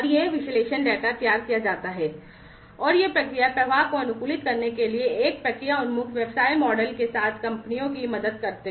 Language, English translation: Hindi, And this analyze data are prepared and they help the companies with a process oriented business model, to optimize process flow